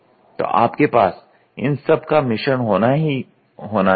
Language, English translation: Hindi, So, you have to have a blend of all